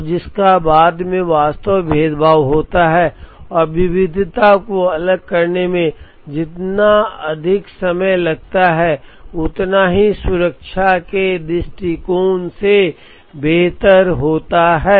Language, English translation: Hindi, And after which the differentiation actually happens and the longer it takes to differentiate the variety, the better it is from a safety stock point of view